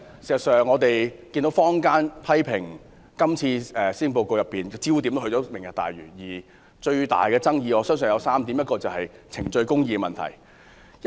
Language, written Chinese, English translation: Cantonese, 事實上，我們看到坊間批評施政報告的焦點也是"明日大嶼"，而最大的爭議我相信涉及3個問題。, In fact our observation is that public criticisms of the Policy Address have been centred on Lantau Tomorrow and I believe that the greatest controversy involves three problems